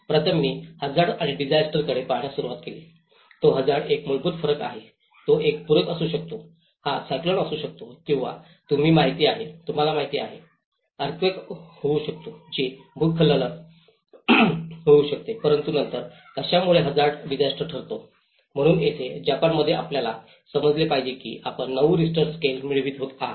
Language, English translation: Marathi, First, I started looking at hazard and disaster, its a very fundamental difference it is hazard is simply a natural phenomenon it could be a flood, it could be a cyclone or you know, it could be earthquake, it could be a landslide but then what makes hazard a disaster, so here, one has to understand in Japan you are getting 9 Richter scale